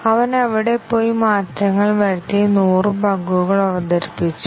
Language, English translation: Malayalam, He just went there and made changes and introduced 100 bugs